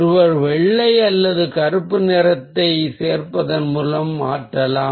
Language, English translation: Tamil, one may change the intensity by adding white or black